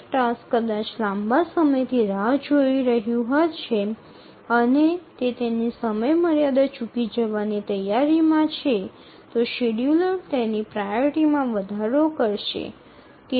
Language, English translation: Gujarati, So, one task may be waiting for long time and it's about to miss its deadline, then the scheduler will increase its priority so that it will be able to meet its deadline